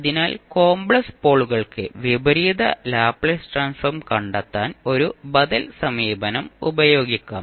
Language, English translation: Malayalam, Then you can use the simple pole approach to find out the Inverse Laplace Transform